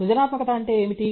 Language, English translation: Telugu, What is creativity